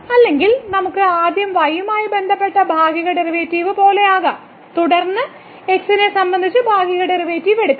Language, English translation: Malayalam, Or we can have like first the partial derivative with respect to and then we take the partial derivative with respect to